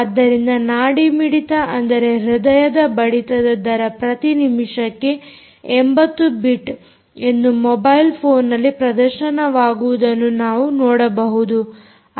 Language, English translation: Kannada, so what we have seen is that the pulse, the heart rate, is eighty bits per minute as displayed on the mobile phone